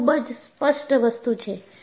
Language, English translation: Gujarati, So, it is very clear